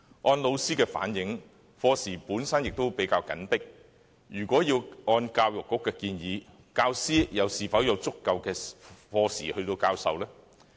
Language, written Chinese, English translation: Cantonese, 按老師的反映，原本的課時已比較緊迫，如果要按教育局的建議，教師又是否有足夠的課時授課呢？, Teachers have reflected that as class hours were already quite tight if the Education Bureau recommendations were implemented would there be enough class hours to give lessons?